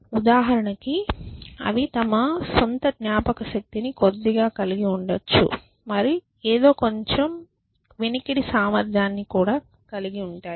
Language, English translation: Telugu, For example, they could have a little bit of a memory of their own and they could have a little bit of listening something